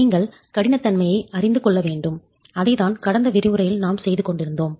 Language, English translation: Tamil, You need to know the stiffnesses and that's what we were doing in the last lecture